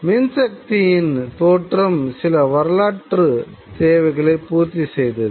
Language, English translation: Tamil, Now, the development of electric power itself responded to certain historical needs